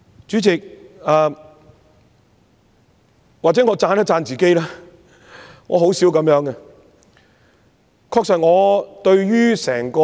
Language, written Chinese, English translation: Cantonese, 主席，或許我得先讚一下自己——我很少這樣做的。, President perhaps I have to blow my own trumpet first though I seldom do this